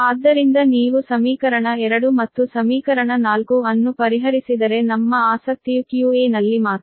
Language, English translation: Kannada, therefore, if you solve equation two and equation four, then our interest is only q a, similarly q c also